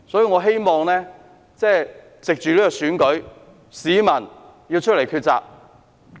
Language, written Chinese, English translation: Cantonese, 我希望藉着這次選舉，市民會走出來抉擇。, I hope that through this Election members of the public will come forward to make a choice